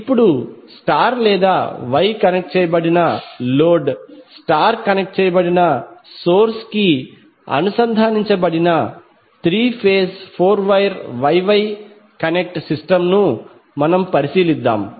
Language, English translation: Telugu, Now let us consider three phase four wire Y Y connected system where star or Y connected load is connected to star connected source